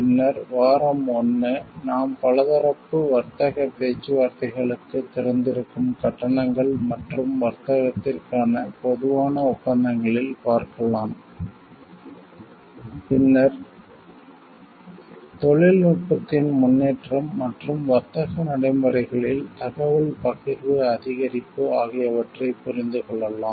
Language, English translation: Tamil, Then week 1, we can see like in the General Agreements on Tariffs and Trade wherein it becomes open for multilateral trade negotiations, then we can understand with the improvement of technology and the sharing of information increase in trade practices